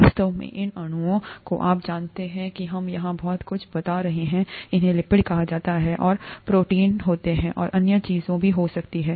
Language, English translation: Hindi, In fact, these molecules you know that we have been describing so much here, these are called lipids and there are proteins, and there could be other things also